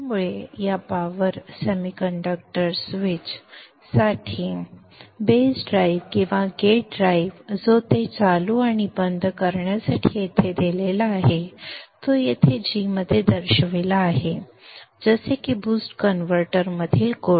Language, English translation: Marathi, So the base drive or the gate drive for this power semiconductor switch which is given here to turn it on and off is shown here in VG like before as in the boost buck converter